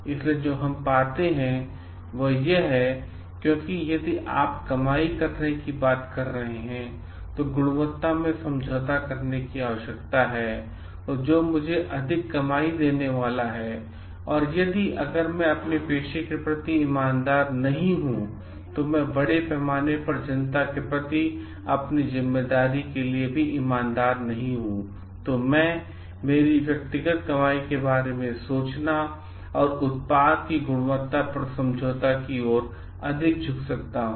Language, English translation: Hindi, So, what we find is that because if you are talking of having an earning and which is going to give me more earning and in the quality needs to be compromised, if I am not honest in towards my profession, if I am not honest towards my responsibility for the public at large, then I am going to may be just lean towards the side of getting more like thinking of my personal earning and compromise on the quality of the product